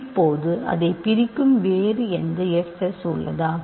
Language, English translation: Tamil, Now are there any other fs that divide it